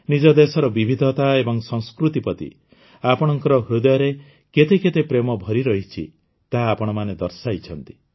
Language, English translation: Odia, You all have shown how much love you have for the diversity and culture of your country